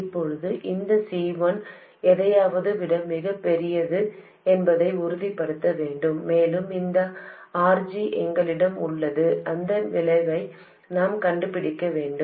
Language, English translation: Tamil, And now we have to make sure that this C1 is much larger than something and we have this RG, we have to find out the effect of that and so on